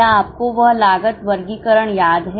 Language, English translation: Hindi, Do you remember that cost classification